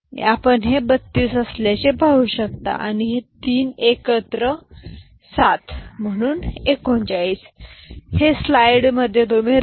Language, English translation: Marathi, And you can see this to be 32 and these 3 together is 7 we know, so 39